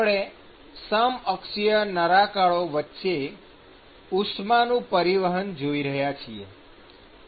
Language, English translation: Gujarati, So, we are looking at heat transfer between the coaxial cylinders